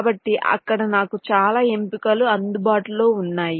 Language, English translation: Telugu, so there so many options available to me, right